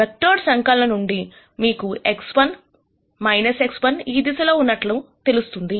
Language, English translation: Telugu, From vector addition you know that if I have X 1, minus X 1 is in this direction